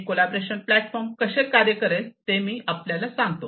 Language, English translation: Marathi, So, let me now show you how this collaboration platform is going to work